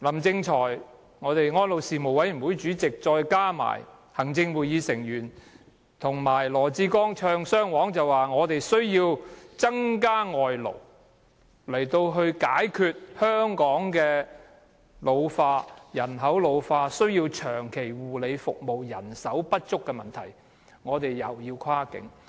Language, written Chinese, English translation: Cantonese, 政府、安老事務委員會主席林正財、行政會議成員加上羅致光"唱雙簧"，說我們需要增加輸入外勞來解決香港人口老化問題，解決護理人手長期不足的問題，又要跨境。, Meanwhile the Government LAM Ching - choi members of the Executive Council and LAW Chi - kwong have all joined in the chorus saying we should import more foreign workers to tackle population ageing in Hong Kong and resolve our long - term shortage of health care staff again a cross - boundary arrangement